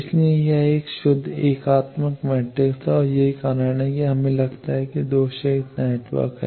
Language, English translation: Hindi, So, it is a pure unitary matrix and that is why we get that this is the lossless network